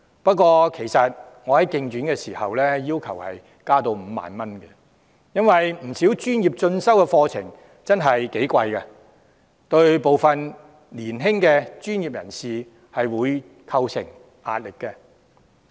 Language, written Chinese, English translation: Cantonese, 不過，我在競選時要求將資助上限增至5萬元，因為不少專業進修課程的學費真的很高昂，對於部分年輕的專業人士構成壓力。, However during my electioneering I demanded that the subsidy ceiling be raised to 50,000 because the fees of quite a number of professional courses were really very high exerting pressure on some young professionals